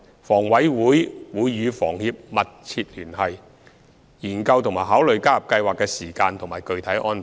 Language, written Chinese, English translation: Cantonese, 房委會會與房協密切聯繫，研究和考慮加入計劃的時間和具體安排。, HKHA will work closely with HKHS with a view to deliberating and considering the timing and specific arrangements for joining the Scheme